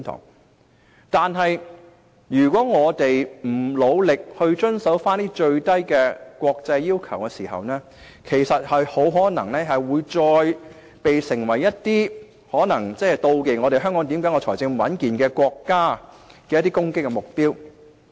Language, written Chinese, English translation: Cantonese, 不過，如果我們不努力遵守最低的國際要求，很可能會再次成為一些妒忌香港財政穩健的國家的攻擊目標。, But if we do not make efforts to comply with the minimum international requirements it is very likely that we may once again become the target of attack by some countries which are jealous of our robust financial position